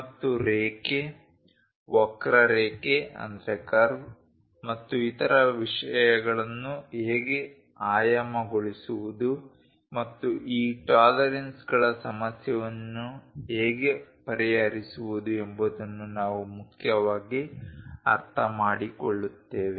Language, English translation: Kannada, And we will mainly understand how to dimension a line, curve and other things and how to address these tolerances issue